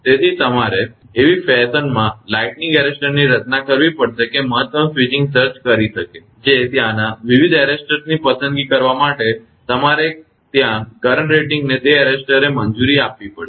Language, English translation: Gujarati, So, you have to design that lightning arrester in such a fashion that it can maximum switching surge that arrester can allow some current rating you have to choose different type of arresters are there